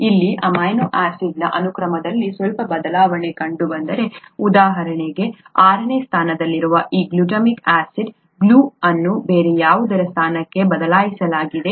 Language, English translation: Kannada, If there is a slight change in the amino acid sequence here, for example this glutamic acid, at the sixth position, has been replaced with something else